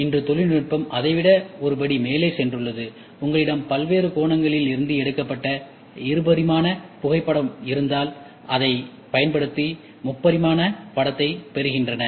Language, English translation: Tamil, And today the technology has gone one step more than that also if you have a 2D photo taken from various angles, they stretched back and then they try to get a three dimensional image